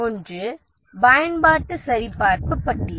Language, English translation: Tamil, One is use checklist